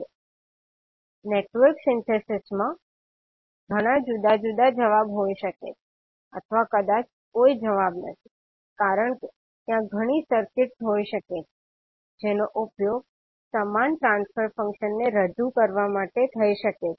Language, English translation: Gujarati, Now in Network Synthesis there may be many different answers to or possibly no answers because there may be many circuits that may be used to represent the same transfer function